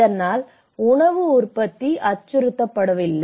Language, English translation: Tamil, So that the food production is not threatened